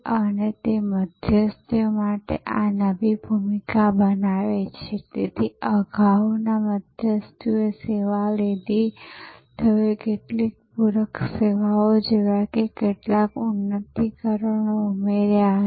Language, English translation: Gujarati, And that’s creates this new role for intermediaries, so earlier intermediaries took the service, they might have added some enhancements like some supplementary services